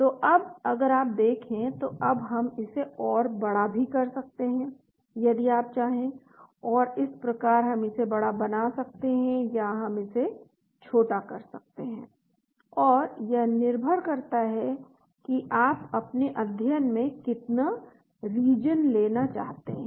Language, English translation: Hindi, So now if you look, now we can move this bigger also if you want and so we can make this bigger or we can make this smaller and so depending upon how much region you want to cover in your study,